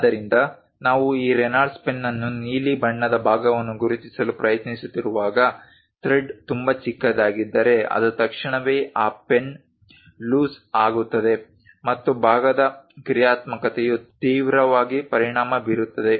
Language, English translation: Kannada, So, when you are trying to screw this Reynolds ah pen the blue color part, if the thread is too small it immediately loses that pen and the functionality of the part severely affects